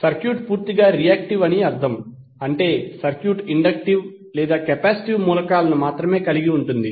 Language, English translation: Telugu, It means that the circuit is purely reactive that means that the circuit is having only inductive or capacitive elements